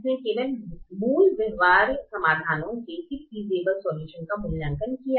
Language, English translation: Hindi, it evaluated only basic feasible solutions